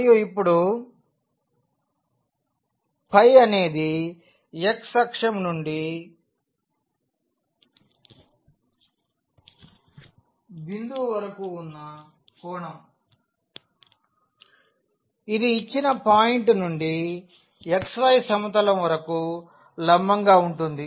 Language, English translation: Telugu, And, now this phi is the angle from the x axis to the point which was the perpendicular from this given point to the xy plane